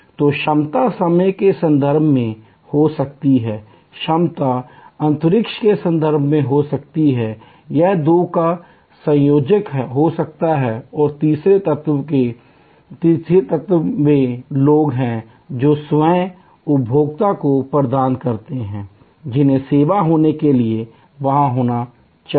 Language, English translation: Hindi, So, capacity can be in terms of time, capacity can be in terms of space, it can be a combination of the two and the third element people who provide the service or consumers, who needs to be there for the service to happen